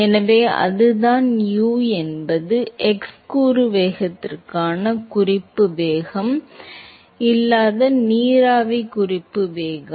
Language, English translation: Tamil, So, that is the U is the reference velocity free steam reference velocity in the for the x component velocity